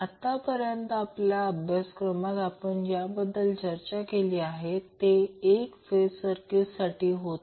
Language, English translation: Marathi, So, till now what we have discussed in our course was basically related to single phase circuits